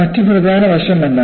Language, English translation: Malayalam, And what is the other important aspect